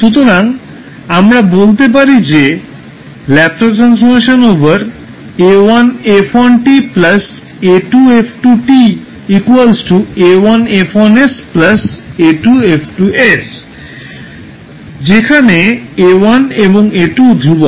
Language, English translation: Bengali, So what we can say that Laplace of a1f1t plus a2f2t will be nothing but a1f1s plus a2f2s, where a1 and a2 are the constant